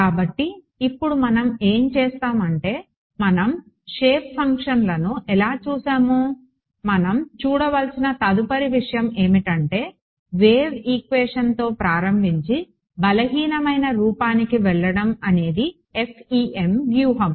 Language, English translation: Telugu, So now what we will do is we look at how do we actually we have looked at the shape functions, the next thing we have to see is the start with the wave equation go to the weak form that is the strategy of FEM right